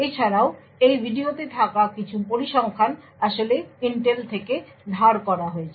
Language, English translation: Bengali, Also, some of the figures that are in this video have been actually borrowed from Intel